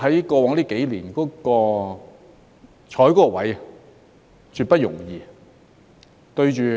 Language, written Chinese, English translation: Cantonese, 過往這幾年，你坐在那個位置是絕不容易的。, It has not been an easy task for you to take up that position over the past few years